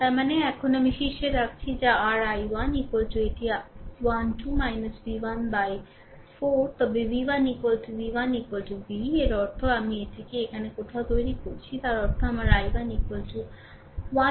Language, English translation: Bengali, That means here I am putting on top that is your i 1 is equal to it is 12 minus v 1 by 4 right, but v 1 is equal to v v 1 is equal to v ; that means, I am making it somewhere here; that means, my i 1 is equal to 12 minus v by 4 right